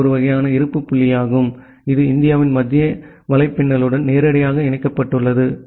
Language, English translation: Tamil, So, that is a kind of point of presence which is directly connected to the central network of India